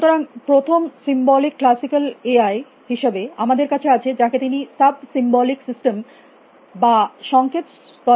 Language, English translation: Bengali, So, as a first symbolic classical AI, we have a sometimes he call a sub symbolic systems or signal level systems